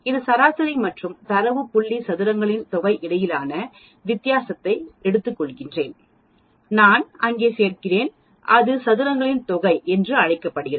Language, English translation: Tamil, I take the difference between the x bar, which is the mean and the data point square it up, I add up there I get this something called sum of squares